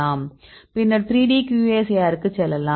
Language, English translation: Tamil, So, here these will get to 2D QSAR